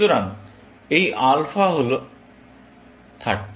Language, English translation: Bengali, So, this alpha is 30